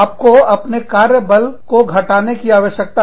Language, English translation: Hindi, You need to reduce, your workforce